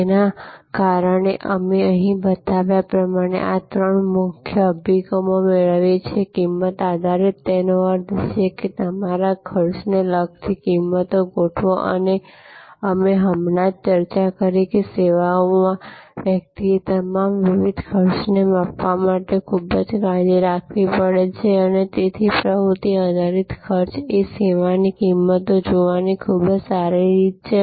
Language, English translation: Gujarati, And as because of that, we get these three main approaches as shown here, cost based pricing; that means, set prices related to your costs and we discussed just now that in services one has to be very careful to measure all the different costs and so activity based costing is a very good way of looking at service pricing